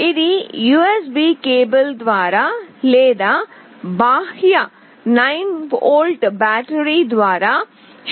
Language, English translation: Telugu, It can be powered by USB cable or by an external 9 volt battery